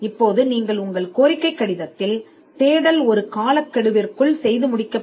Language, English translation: Tamil, Now you would in your request letter, you would also stipulate a deadline